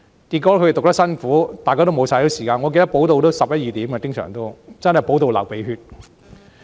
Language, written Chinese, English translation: Cantonese, 結果，他們讀得很辛苦，大家都沒有休息時間，經常補習到十一二時，真的補到流鼻血。, As a result they took great pains to attend all such lessons . None of us had any rest time as such tutorial lessons often lasted until 11col00 pm or 12col00 pm when we were truly worn out